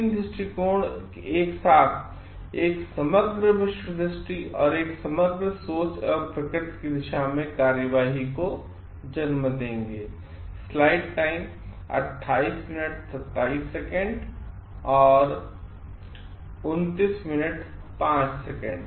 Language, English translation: Hindi, All 3 together will give rise to an holistic worldview and a holistic a thought process and action towards the nature at large